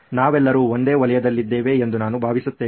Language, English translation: Kannada, I think we are all in the same circle